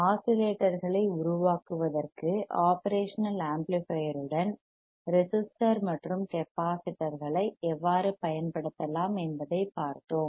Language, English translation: Tamil, We have seen how we can use resistor and capacitors along with operational amplifier to form the oscillators right